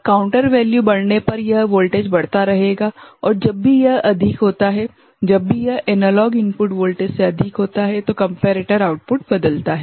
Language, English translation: Hindi, As counter value increases this voltage will keep increasing and whenever it exceeds; whenever it exceeds the analog input voltage, the comparator output changes right